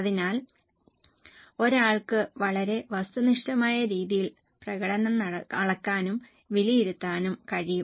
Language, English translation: Malayalam, So, one can measure and evaluate the performance in a very, very objective manner